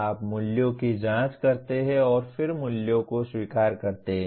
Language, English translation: Hindi, You examine the values and then accept the values